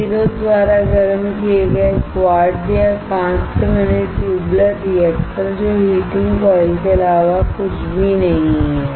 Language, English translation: Hindi, The tubular reactor made out of quartz or glass heated by the resistance, which is nothing, but heating coils